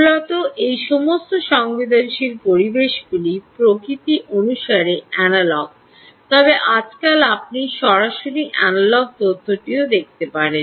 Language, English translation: Bengali, basically, all these sensing environments are analogue by nature, but nowadays you can also be looking at analogue information directly